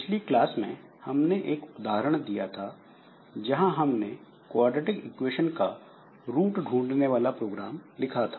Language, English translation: Hindi, An example of it that we have told in the last class, like there may be I have a program written that finds roots of a quadratic equation